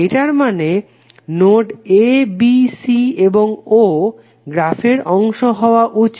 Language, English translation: Bengali, It means that node a, b, c and o should be part of the graph